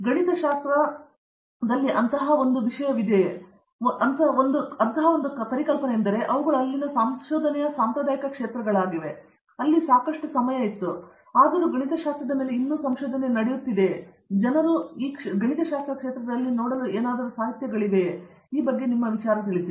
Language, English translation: Kannada, In mathematics, is there such a thing, is there such a concept like you know these are the traditional areas of research which are there and then, and which have been there for a long enough time, but there is still research going on it and therefore, there is a lot of literature that people can look at and you know engage themselves against